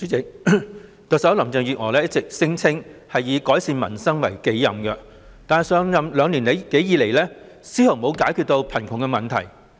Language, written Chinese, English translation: Cantonese, 代理主席，特首林鄭月娥一直聲稱以改善民生為己任，但上任兩年多以來，卻絲毫沒有解決貧窮問題。, Deputy President Chief Executive Carrie LAM has all along claimed that improving the publics livelihood is her mission but ever since taking office more than two years ago she has not in the least bit solved the poverty problem